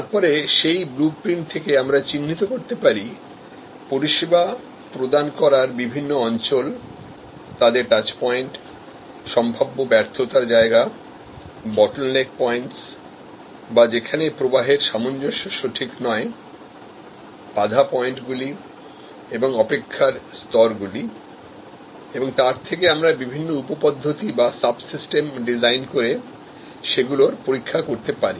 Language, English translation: Bengali, Then, from that blue print by identifying the service blocks and the touch points and the fail points and the bottleneck points and the weight points or the waiting stages, we can then design subsystems, test those subsystems